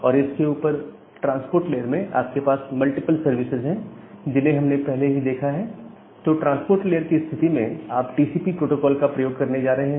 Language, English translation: Hindi, And then on top of that in the transport layer you have multiple services that we have already looked into, that in case of the transport layer, if you are going to use a TCP kind of protocol